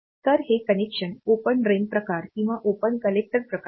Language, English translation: Marathi, So, they are actually open collector type of connection or open drain type of connection